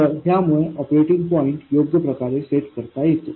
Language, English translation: Marathi, So, this sets the operating point correctly